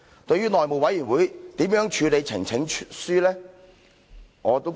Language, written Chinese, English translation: Cantonese, 對於內務委員會如何處理呈請書？, I am a bit confused about how the House Committee will deal with petitions